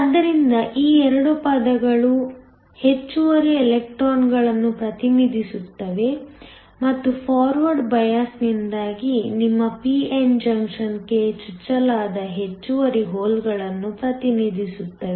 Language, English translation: Kannada, So, these 2 terms represent the excess electrons and the excess holes that are injected into your p n junction because of the forward bias